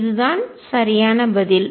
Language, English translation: Tamil, That is the right answer